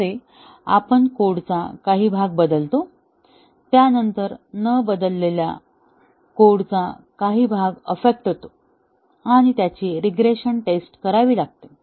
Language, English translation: Marathi, As we change some part of the code, then, some part of the unchanged code gets affected and they have to be regression tested